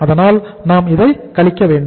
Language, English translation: Tamil, So you have to subtract this